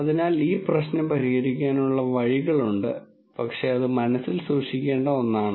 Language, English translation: Malayalam, So, there are ways of solving this problem, but that is something to keep in mind